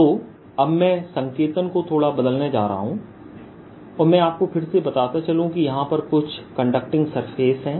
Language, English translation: Hindi, so now i am going to change notation a bit and let me again say there's some conducting surface